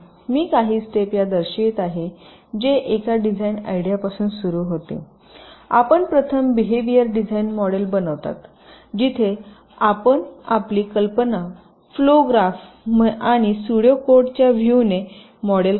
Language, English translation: Marathi, i am showing some steps which, starting from a design idea, you first carry out behavioral design, where you model your idea in terms of flow graphs and pseudo codes